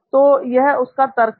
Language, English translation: Hindi, So that was his reasoning